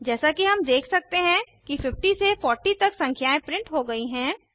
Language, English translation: Hindi, As we can see, the numbers from 50 to 40 are printed